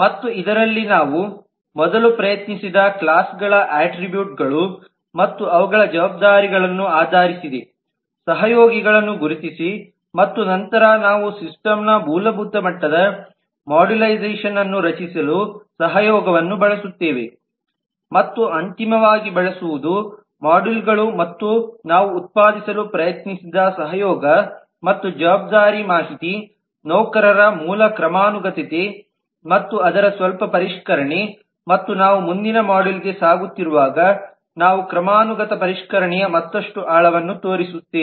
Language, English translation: Kannada, and in this based on the classes attributes and their responsibilities we have first tried to identify the collaborating classes the collaborators and then we use the collaboration information to create a basic level of modularization in the system and finally using the modules as well as the collaboration and responsibility information we have tried to generate a basic hierarchy of employees and a little refinement of that and as we move into the next module we will show further depths of refinement of hierarchy